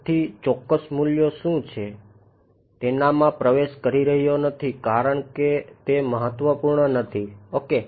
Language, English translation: Gujarati, I am not getting into what the precise values are because they are not important ok